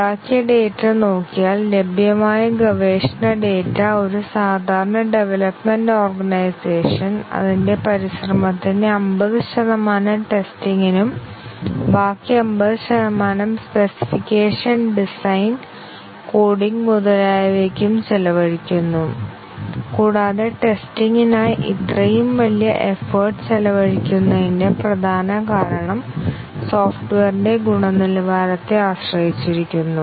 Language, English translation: Malayalam, If you look at the data that is made; research data that is made available a typical organization development organization spends 50 percent of its effort on testing, the rest 50 percent on specification design, coding, etcetera and the main reason behind spending such huge effort on testing is that the quality of the software depends to a large extent on the thoroughness of testing and now the customers are very quality conscious